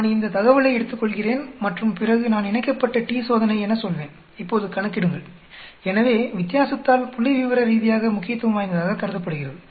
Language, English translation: Tamil, I will take this data and then I will say paired t Test, calculate now, so it says by the difference is considered to be statistically significant